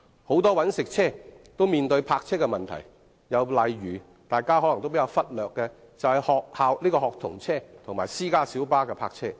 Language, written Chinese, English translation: Cantonese, 很多"搵食車"都面對泊車的問題，例如可能會被大家忽略的學童車及私家小巴。, Parking problems also apply to many commercial vehicles for example student service vehicles and private light buses which may be neglected by many people